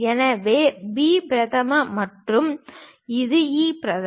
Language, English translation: Tamil, So, B prime and this is E prime